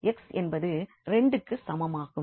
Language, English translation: Tamil, So, we have X s minus 1